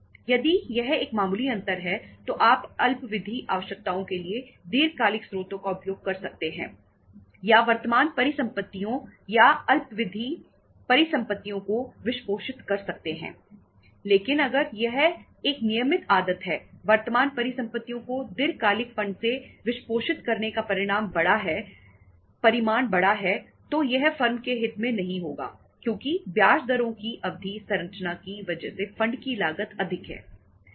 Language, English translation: Hindi, If it is a marginal difference you can use the long term sources for the short term requirements or funding the current assets or short term assets but if it is a regular habit more say the magnitude is bigger of the funding the current assets with the long term funds then it is not going to be in the interest of the firm because cost of the funds is higher because of the term structure of interest rates